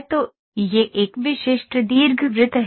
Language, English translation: Hindi, So, this is a typical ellipse